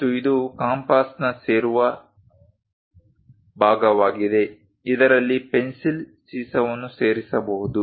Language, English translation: Kannada, And this is a joining part of compass, which one can insert through which lead can be used